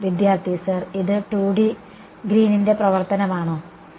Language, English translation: Malayalam, Sir, is it 2D Green's function